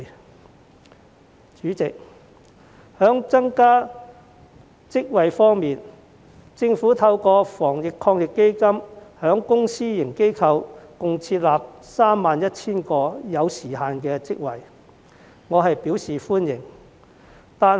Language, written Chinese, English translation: Cantonese, 代理主席，在增加職位方面，政府透過防疫抗疫基金在公私營機構設立共 31,000 個有時限職位，我對此表示歡迎。, Deputy President in order to increase the number of jobs the Government has created a total of 31 000 time - limited posts in the public and private sectors through the Anti - epidemic Fund